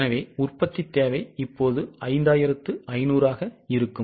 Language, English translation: Tamil, So, production requirement will be 5,500